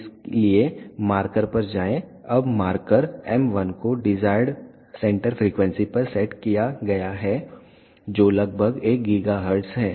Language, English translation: Hindi, So, go to marker, now the marker m 1 has been set to the desired centre frequency which is approximately 1 gigahertz